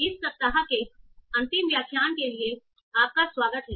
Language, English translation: Hindi, Welcome back for the final lecture of this week